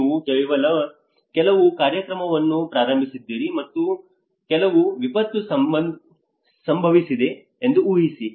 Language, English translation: Kannada, Imagine you have started some program and imagine some calamity have occurred again